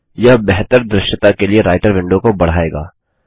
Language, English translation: Hindi, This maximizes the Writer window for better visibility